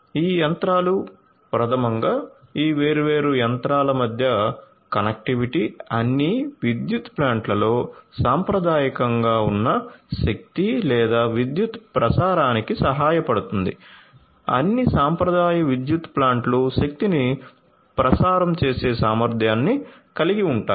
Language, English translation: Telugu, So, these machinery number one is this connectivity between these different machinery can help in the transmission, transmission of energy or electricity which is they are traditionally in all power plants all the traditional power plants have the capability of transmission of energy